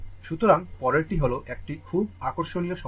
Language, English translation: Bengali, So, next we will take another another problem